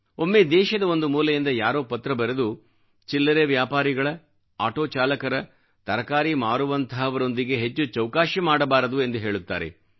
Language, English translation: Kannada, Sometimes people who write in from different corners of the country say, "We should not haggle beyond limits with marginal shopkeepers, auto drivers, vegetable sellers et al"